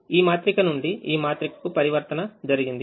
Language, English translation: Telugu, so the transformation from this matrix to this matrix